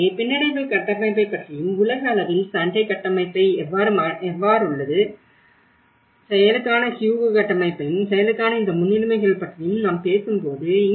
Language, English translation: Tamil, So, when we talk about the resilience frameworks and that at a global level, how the Sundae framework, how the Hugo framework for action, what are these priorities for action